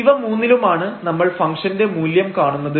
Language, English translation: Malayalam, These are the 3 points we will evaluate the function value